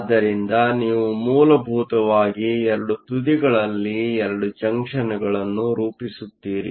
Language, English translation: Kannada, So, you essentially form 2 junctions at the 2 ends